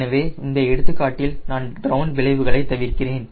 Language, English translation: Tamil, so in this example i am neglecting this ground effects